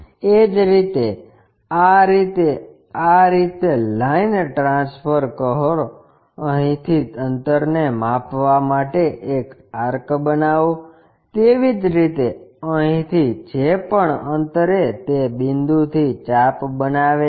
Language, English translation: Gujarati, Similarly, transfer these lines in that way is more like from here measure the distance, make an arc; similarly, from here whatever that distance make an arc from that point